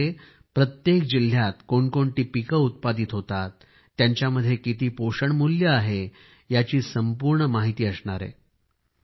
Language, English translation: Marathi, An Agricultural Fund of India is being created, it will have complete information about the crops, that are grown in each district and their related nutritional value